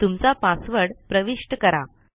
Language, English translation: Marathi, Enter your password